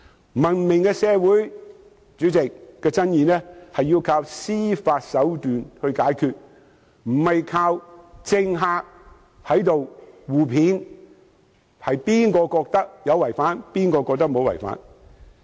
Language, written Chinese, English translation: Cantonese, 在文明的社會，爭議是要靠司法手段解決，而非靠政客互罵，有人認為有違法，有人認為無違法。, In a civilized society disputes must be resolved by judicial recourse instead of bickering between politicians who may or may not think it is lawful